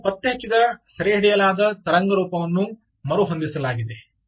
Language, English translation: Kannada, now, ah, the detected captured wave form is reset